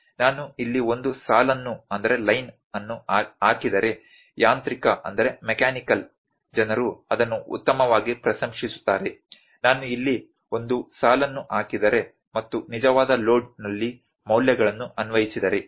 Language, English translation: Kannada, If I put a line here, mechanical people would appreciate it in a better if I put a line here, and if I see the values at the true load applied